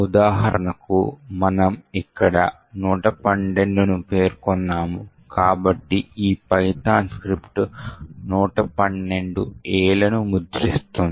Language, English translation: Telugu, For example, over here since we have specified 112, so this particular python script would print A, 112 A’s